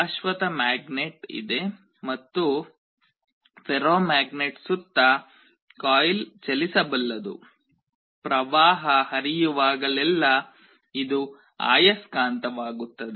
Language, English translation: Kannada, There is a permanent magnet and the coil around the ferromagnet is movable, whenever there is a current flowing this will become a magnet